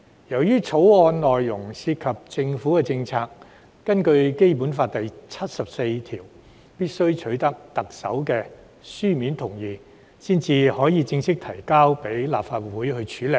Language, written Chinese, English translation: Cantonese, 由於《條例草案》內容涉及政府的政策，根據《基本法》第七十四條，必須取得特首的書面同意才可正式提交立法會處理。, As the Bill is related to government policies the written consent of the Chief Executive must be obtained in accordance with Article 74 of the Basic Law before it can be officially introduced into this Council